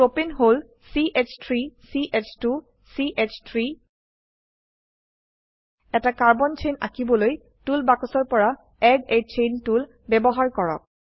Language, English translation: Assamese, Propane is CH3 CH2 CH3 Lets use Add a Chain tool from Tool box to draw a Carbon chain